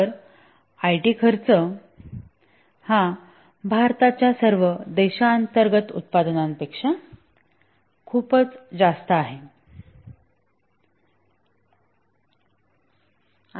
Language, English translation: Marathi, So, the IT spending is even much more than all the domestic production of India is a huge